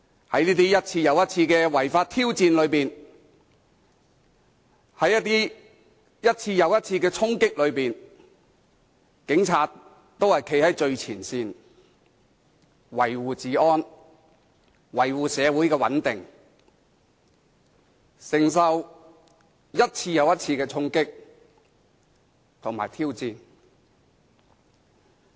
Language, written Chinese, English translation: Cantonese, 在這些一次又一次的違法挑戰中，在這些一次又一次的衝擊中，警察都站在最前線，維護治安，維護社會穩定，承受一次又一次的衝擊和挑戰。, Braving these many illegal challenges and charging actions one after another the Police were always standing at the very front to uphold law and order and maintain social stability bearing the brunt of these charging actions and challenges over and over again